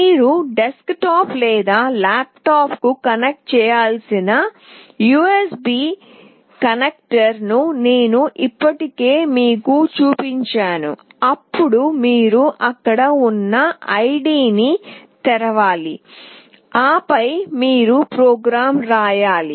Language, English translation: Telugu, I have already shown you the USB connector through which you have to connect to either a desktop or a laptop, then you have to open the id that is there and then you need to write the program